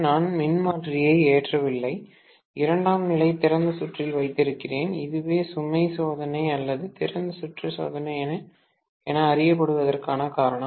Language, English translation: Tamil, I am not loading the transformer, I have kept the secondary on open circuit, that is the reason this is known as no load test or open circuit test